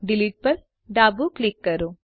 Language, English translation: Gujarati, Left click Delete